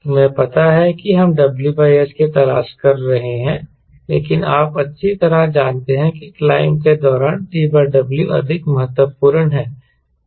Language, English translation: Hindi, so we are looking for w by s, but you know very well that in during climb the t by w is more important